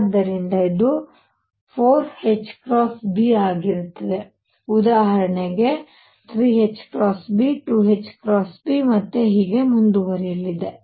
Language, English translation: Kannada, So, this will be 4 h cross B for example, 3 h cross B, 2 h cross B, and so on